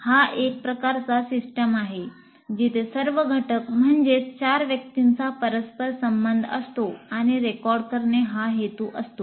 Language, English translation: Marathi, So what happens, This is a kind of a system where all the elements, namely the four people, are interrelated and the purpose is to record